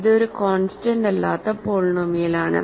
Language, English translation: Malayalam, So, it is a non constant polynomial